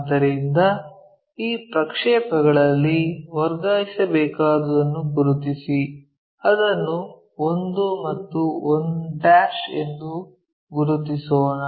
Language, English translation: Kannada, So, on this projection mark that one which we have to transfer, let us mark that one as 1 and 1'